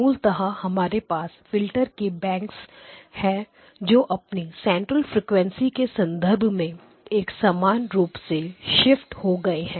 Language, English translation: Hindi, So basically you have a bank of filters which are shifted in terms of their center frequency identical shifted in terms of their center frequency